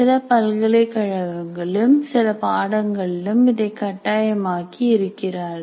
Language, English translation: Tamil, In some universities, in some programs, they make it mandatory